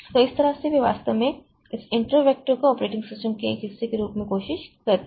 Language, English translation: Hindi, So, that way they actually try to put this interrupts as part of the operating system